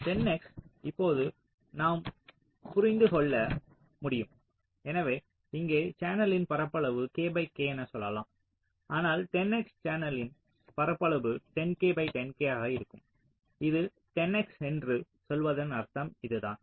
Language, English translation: Tamil, so here the area of the channel can be like this: lets say k by k, but in this case, for ten x, the area of the channel will be ten k by ten k